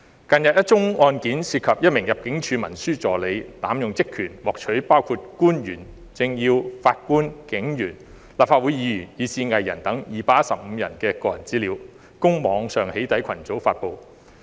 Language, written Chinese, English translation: Cantonese, 近日一宗案件涉及一名入境事務處文書助理濫用職權，獲取包括官員、政要、法官、警員、立法會議員，以至藝人等215人的個人資料，供網上"起底"群組發布。, This is a great injustice to the victims of data leakage . A recent case involves a clerical assistant of the Immigration Department abusing her power to obtain personal data of 215 people including government officials political dignitaries judges police officers Legislative Council Members and even artistes for online publication in a doxxing group